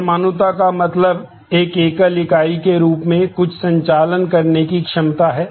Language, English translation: Hindi, What atomicity means is the ability to do certain operations in a as a single unit